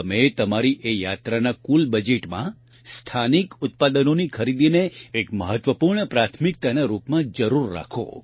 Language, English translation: Gujarati, In the overall budget of your travel itinerary, do include purchasing local products as an important priority